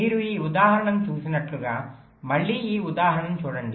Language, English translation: Telugu, look at this example again